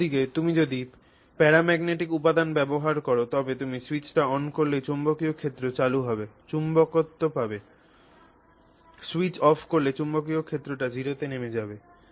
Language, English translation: Bengali, At the same, so on the other hand if you use a paramagnetic material, you switch on the magnetic field, you have magnetism, you switch off the magnetic field, it drops to zero